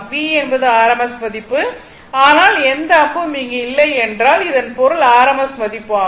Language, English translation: Tamil, V is the rms value, but no arrow is here it means rms value magnitude